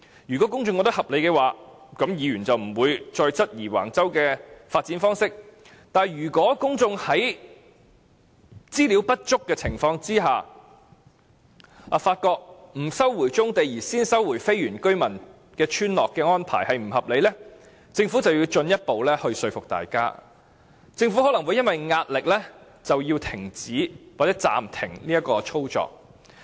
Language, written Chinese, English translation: Cantonese, 如果公眾認為合理，議員便不會再質疑橫洲的發展方式，但如果公眾在分析全部文件後，發覺不收回棕地而先收回非原居民村落的安排是不合理，政府便要進一步說服大家，或因為壓力而停止收回非原居民村落。, If the public think that the decision is reasonable then Members would stop querying the mode of development at Wang Chau; but if the public after analysing all the documents find that the arrangement to first resume the land of the non - indigenous villages and postpone the resumption of brownfield sites is unreasonable then the Government must make further efforts to convince the people or bow to pressure and stop resuming the land of the non - indigenous villages